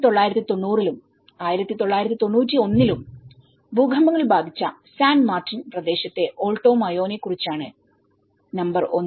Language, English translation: Malayalam, Number 1 which we are talking about San Martin area, Alto Mayo which has been affected by 1990 and 1991 earthquakes